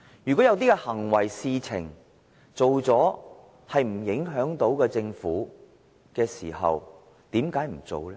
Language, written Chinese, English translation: Cantonese, 如果有些行為和事情是不會影響政府的，為甚麼不做呢？, If certain actions or issues will not affect the Government why does he not simply do them?